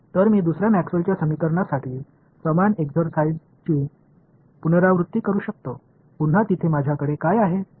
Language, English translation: Marathi, So, I can repeat the same exercise for the second Maxwell’s equation right; again there what do I have